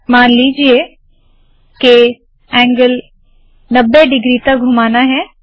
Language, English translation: Hindi, Suppose angle, I want to rotate by 90 degrees